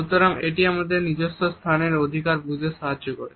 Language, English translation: Bengali, So, it helps us to understand our own territorial rights